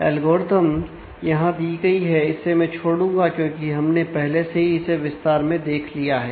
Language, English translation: Hindi, So, algorithm is given here I will skip it, because we have already done this in detail